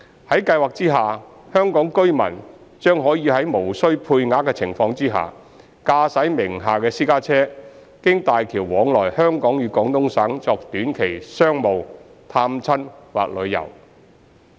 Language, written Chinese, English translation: Cantonese, 在計劃下，香港居民將可在無需配額的情況下，駕駛名下私家車經大橋往來香港與廣東省作短期商務、探親或旅遊。, Under the Scheme a Hong Kong resident will be allowed to drive a private car owned by himher between Hong Kong and Guangdong via HZMB for business visiting families or sight - seeing on a short - term basis without a quota